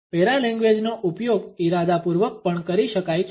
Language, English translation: Gujarati, Paralanguage can be used intentionally also